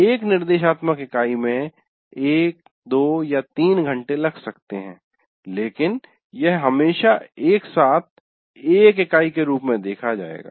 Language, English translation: Hindi, So, an instructional unit may take maybe one hour, two hours or three hours, but it will be seen always as together as a unit